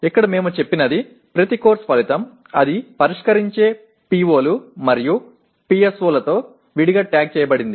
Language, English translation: Telugu, And here what we have said is each course outcome we have separately tagged with the POs and PSOs it addresses